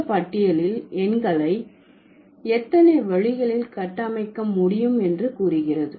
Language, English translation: Tamil, So, this list suggests the numbers can be constructed in how many ways